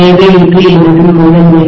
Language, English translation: Tamil, So this is my primary, right